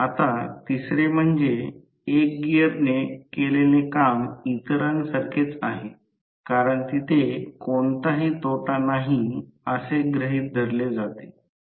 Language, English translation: Marathi, Now, third one is that the work done by 1 gear is equal to that of others, since there are assumed to be no losses